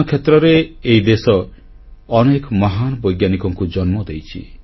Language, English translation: Odia, This land has given birth to many a great scientist